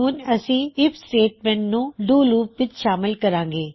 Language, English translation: Punjabi, Now, we will include an IF statement inside the DO loop